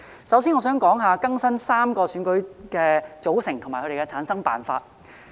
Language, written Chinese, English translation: Cantonese, 首先，我想說說更新3個選舉的組成及其產生辦法。, First of all I would like to talk about updating the membership and method for returning such members in the three elections